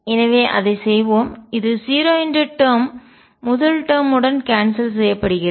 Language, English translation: Tamil, So, let us do that, this term cancels with the first term this is 0